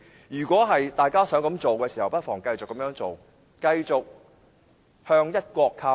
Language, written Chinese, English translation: Cantonese, 如果大家想這樣做，不妨繼續這樣做，繼續向"一國"靠攏。, If you want that to happen please just continue to side with one country